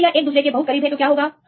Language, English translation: Hindi, Then it is very close to each other then what will happen